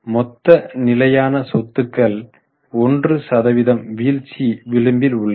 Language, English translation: Tamil, Total fixed assets have marginally fallen by 1%